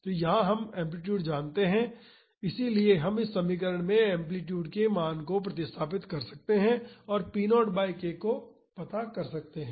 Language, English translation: Hindi, So, here we know the amplitude so, we can substitute the value of the amplitude in this equation and find out the value of p naught by k